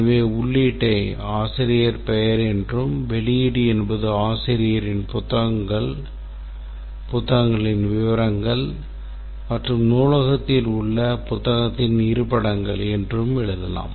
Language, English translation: Tamil, So then we can write the input is author name and the output is details of the author's books and the locations of this book in the library